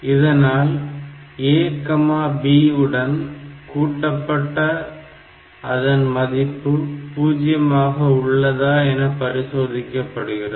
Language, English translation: Tamil, So, A and B are added and then we check whether the result is 0 or not